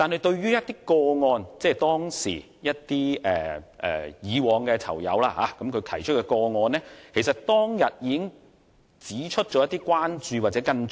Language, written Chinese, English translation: Cantonese, 對於一些昔日囚友提出的個案，其實議員當天已提出一些關注及跟進。, Regarding the cases brought up by some ex - inmates Members actually raised some concerns and follow - ups then